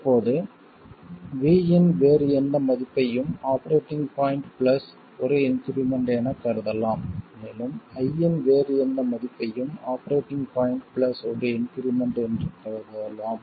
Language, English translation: Tamil, Now any other value of V can be thought of as the operating point plus an increment and any other value of Y can be thought of as the operating point plus an increment